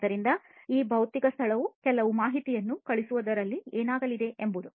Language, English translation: Kannada, So, what is going to happen is this physical space is going to send some information